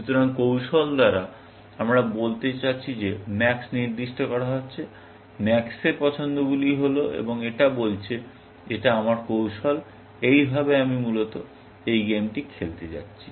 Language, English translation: Bengali, So, by strategy, we mean that max is freezing max’s choices is and saying; this is my strategy; this is how I am going to play this game, essentially